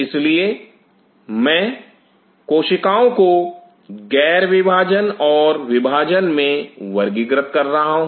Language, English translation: Hindi, So, I am classifying the cells now as non dividing and dividing